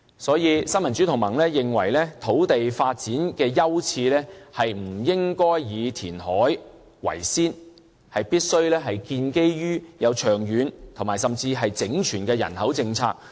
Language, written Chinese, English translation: Cantonese, 所以，新民主同盟認為，土地發展的優次不應以填海為先，而必須建基於長遠而整全的人口政策。, Hence the Neo Democrats thinks that land reclamation should not be given the priority in land development which must be based on a long - term and comprehensive population policy instead